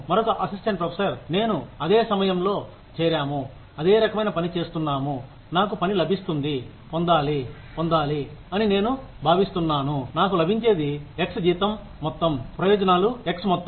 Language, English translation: Telugu, Another assistant professor, who joined at the same time as me, doing the same kind of work as me, gets, should get, I feel should get, x amount of salary, x amount of benefits, just what I get